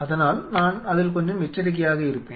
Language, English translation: Tamil, So, I will be I will be little cautious on it